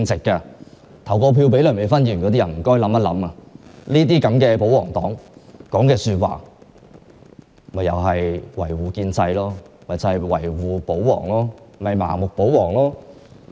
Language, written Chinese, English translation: Cantonese, 曾投票給梁美芬議員的選民應明白，她這種保皇黨議員所說的話同樣只為維護建制和盲目保皇。, People who have voted for Dr Priscilla LEUNG should realize that she is a royalist so she utters those words just for the same and pure reason of defending the Establishment and blindly protecting the ruling authorities